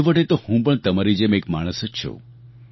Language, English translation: Gujarati, After all I am also a human being just like you